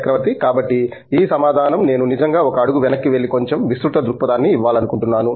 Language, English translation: Telugu, So, I think this answer I would like to actually take a step back and do a little bit broader outlook